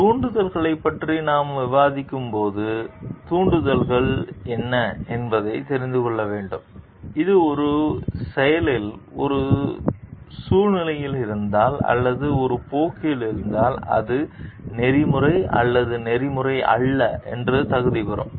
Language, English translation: Tamil, What are the triggers specifically, when we discussing about the triggers what are the triggers which if present in a situation in a act or a course of action which will qualify it to be ethical or not ethical